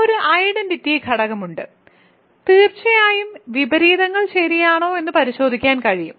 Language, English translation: Malayalam, So, there is a identity element certainly one can check that there is inverses right